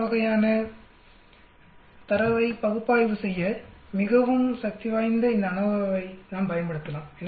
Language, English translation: Tamil, I can use these ANOVA which is very powerful to analyze that sort of data